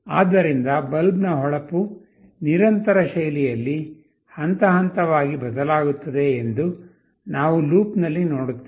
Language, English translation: Kannada, So, in a loop we will see that the brightness of the bulb will progressively change in a continuous fashion